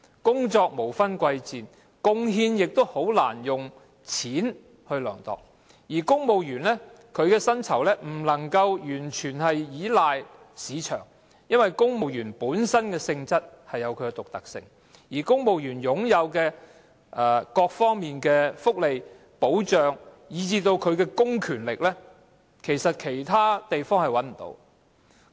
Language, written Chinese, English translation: Cantonese, 工作無分貴賤，貢獻亦難以用金錢量度，而公務員的薪酬也不能夠完全根據市場來釐定，因為公務員本身的性質有其獨特性，而公務員在各方面擁有的福利、保障，以至公權力，在其他地方其實是沒有的。, All work is noble . Contribution cannot be measured in money terms and the pay of civil servants cannot be determined fully in line with the market for civil servants are unique by nature and the benefits protection and even public powers at the disposal of civil servants in various aspects cannot be found in other sectors